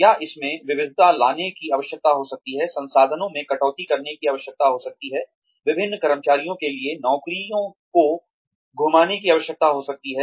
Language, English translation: Hindi, Or, , there could be a need to diversify, there could be a need to cut down resources, there could be a need to rotate jobs among various employees